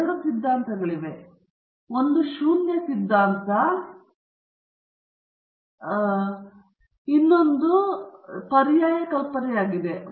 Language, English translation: Kannada, There are two hypotheses: one is the null hypothesis and the other is the alternate hypothesis